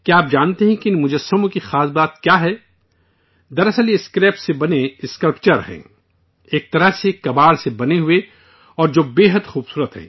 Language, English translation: Urdu, Actually these are sculptures made from scrap; in a way, made of junk and which are very amazing